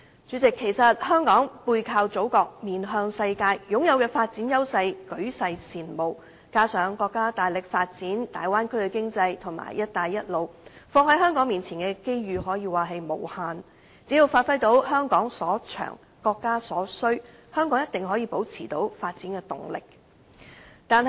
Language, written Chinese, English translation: Cantonese, 主席，香港背靠祖國，面向世界，擁有舉世羨慕的發展優勢，加上國家大力發展大灣區經濟及"一帶一路"，放在香港面前的機遇可說是無限，只要發揮到"香港所長，國家所需"，香港一定可以保持發展動力。, President Hong Kong faces the world with the Motherland as our backbone and our development advantages are envied by countries over the world . In addition our countrys vigorous economic development in the Bay Area and the Belt and Road Initiative will bring unlimited opportunities to Hong Kong . As long as Hong Kong acts in line with the policy of what the country needs what Hong Kong is good at Hong Kong can certainly maintain momentum in development